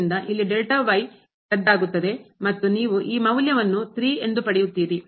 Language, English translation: Kannada, So, here this gets cancelled and you will get this value as 3